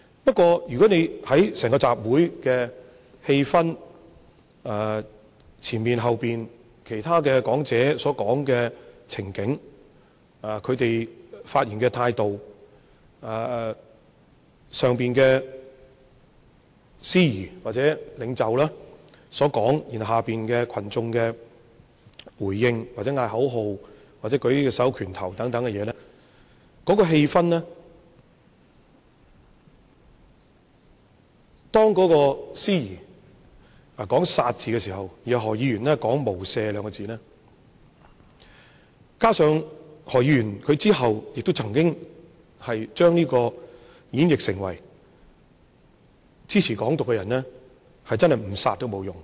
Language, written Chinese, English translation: Cantonese, 不過，從整個集會的氣氛、之前之後其他講者發言的情境、他們發言的態度、台上的司儀、或者領袖的說話、下面群眾的回應、喊口號和握着拳頭舉起手等的行為，當時的氣氛，當司儀說出"殺"字的時候，然後何議員說出"無赦"兩個字，加上何議員後來曾經將這演繹成，支持"港獨"的人，真正不殺也沒有用。, However judging from the atmosphere of the entire rally and the contexts in which other speakers spoke the attitude adopted in their speeches the wording of the host or leaders on the stage the response of the people off stage behaviours like chanting slogans and raising their hands in fist people were embroiled in a certain state of mind . When the host chanted kill Dr HO echoed with the remark without mercy . Moreover Dr HO had later interpreted his remark as those who advocate Hong Kong independence really deserve to be killed